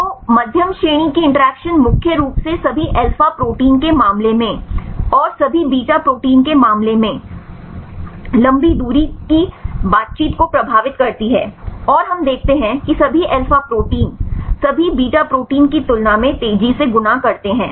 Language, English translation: Hindi, So, medium range interactions influence right mainly in the case of all alpha proteins, and the long range interactions in case of all beta proteins, and we see that the all alpha proteins fold faster than all beta proteins right